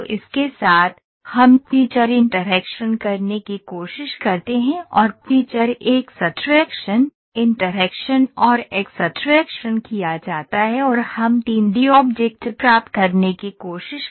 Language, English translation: Hindi, So with this, we try to do feature in interaction and feature extraction, interaction and extraction is done and we try to get the 3D object